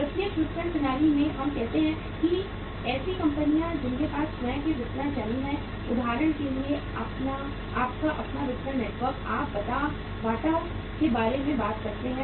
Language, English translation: Hindi, In the direct marketing system we say that there are the companies who have their own distribution channels, their own distribution network for example you talk about Bata right